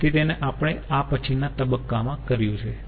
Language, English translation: Gujarati, so that is what we have done in the next stage